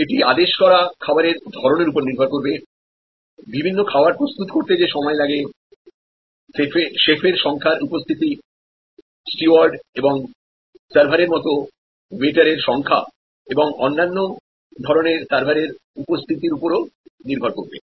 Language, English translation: Bengali, It will be also depended on the kind of food ordered, the time it takes to prepare the different dishes, the availability of the number of chefs, the availability of the number of waiters and other types of servers, like stewards and servers